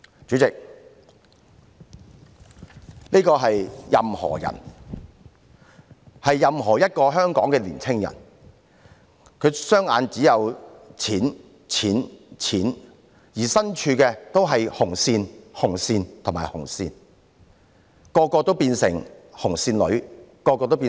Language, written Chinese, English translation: Cantonese, 主席，這是"任何人"——任何一個香港的年青人——他的雙眼只有錢、錢、錢，而身處的地方周圍也是"紅線"、"紅線"、"紅線"，每位都變成"紅線女"、"紅線仔"。, President this is Anyone―any young person in Hong Kong―and in their eyes there is only money money money and all around them there are red lines red lines and red lines so all of them have become men and women barred behind red lines